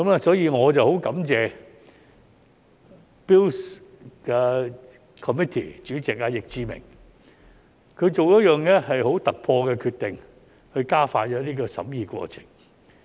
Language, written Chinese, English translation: Cantonese, 所以，我很感謝 Bills Committee 主席易志明議員，他作出一項很突破的決定以加快審議過程。, I am therefore very grateful to the Chairman of the Bills Committee Mr Frankie YICK for making an unprecedented decision to expedite scrutiny process